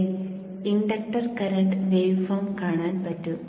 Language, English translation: Malayalam, So we would like to see the inductor current waveform here